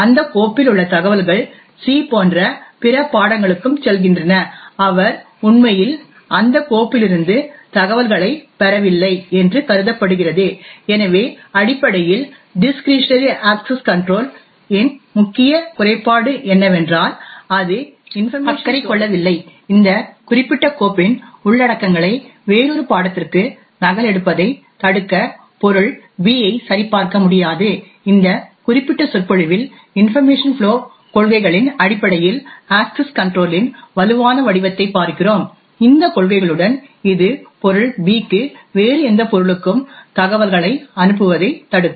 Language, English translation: Tamil, Thus what we see is that the file which was created by subject A and meant to be read only by subject B the information in that file also passes to other subjects like C who was not supposed to have actually got the information from that file, so essentially the main drawback of discretionary access policies is that it is not concerned with information flow, it cannot do checks to prevent subject B from copying the contents of this particular file to another subject, in this particular lecture we look at the stronger form of access control based on information flow policies, with these policies it will prevent subject B from passing on the information to any other subject